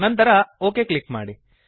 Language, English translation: Kannada, Finally, click on the OK button